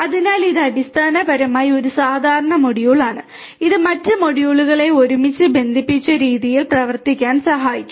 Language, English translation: Malayalam, So, it is basically a common is basically a module that will help other modules to work together in a connected fashion